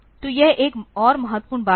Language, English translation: Hindi, So, this is another important thing